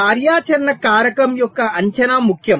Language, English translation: Telugu, so the estimation of the activity factor